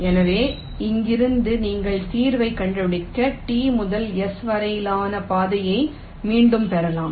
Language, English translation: Tamil, so from here you can retrace the path from t to s to find out the solution